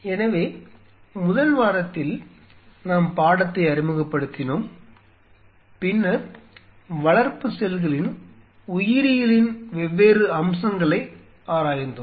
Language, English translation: Tamil, So, in the first week, we introduced the subject and then we went on exploring the different aspect of the biology of the cultured cells